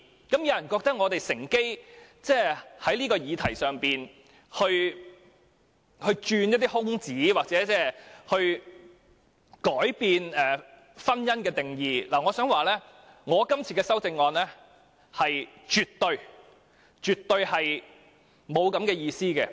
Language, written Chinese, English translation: Cantonese, 有人認為我們故意在這項議題上鑽空子，意圖改變婚姻的定義，但我想指出，我今天這項修正案絕對沒有此意圖。, Some people think that we have deliberately exploited the leeway in this subject with the intention of changing the definition of marriage but I would like to point out that this amendment proposed by me definitely carries no such an intention at all